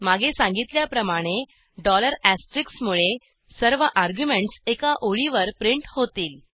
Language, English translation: Marathi, We see that all the arguments are printed on the single line